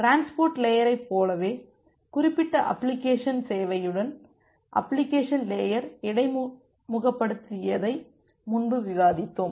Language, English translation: Tamil, But from the application layer you should ask for the specific service that you want from the transport layer